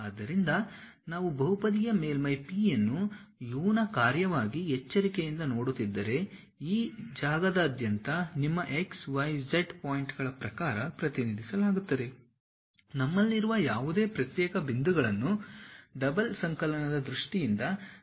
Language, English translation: Kannada, So, if we are looking at that carefully the polynomial surface P as a function of u, v represented in terms of your x, y, z points throughout this space whatever those discrete points we have can be expanded in terms of double summation